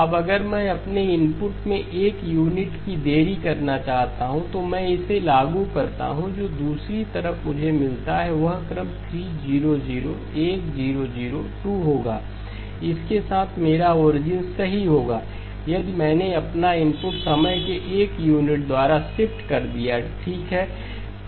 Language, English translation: Hindi, Now if I want to delay my input by one unit of time, I apply this then the sequence that I get at the other side will be 3, 0, 0, 1, 0, 0, 2 dot dot dot with this being my origin right if I shifted my input by one unit of time okay